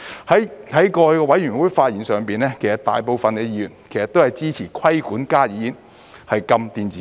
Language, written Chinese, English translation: Cantonese, 在過去的法案委員會上發言時，大部分議員都支持規管加熱煙而禁電子煙。, Most Members while speaking in the Bill Committees in the past have expressed support for regulating HTPs but imposing a ban on e - cigarettes